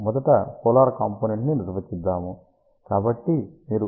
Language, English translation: Telugu, Let us first define the polar component